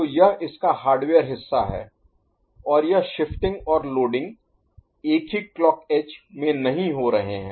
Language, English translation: Hindi, So, this is the hardware part of it and this shifting and loading are not happening in the same clock edge